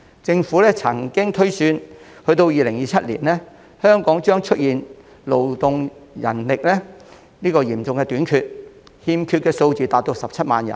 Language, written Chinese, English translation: Cantonese, 政府曾經推算，到了2027年，香港的勞動人力將出現嚴重短缺，欠缺的數字達17萬人。, According to the projection of the Government there will be a serious manpower shortage of 170 000 by 2027